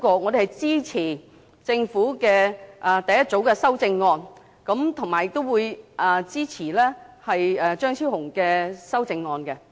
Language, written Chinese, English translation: Cantonese, 我們支持政府的第一組修正案，亦會支持張超雄議員的修正案。, We support the Governments first group of amendments and also Dr Fernando CHEUNGs amendment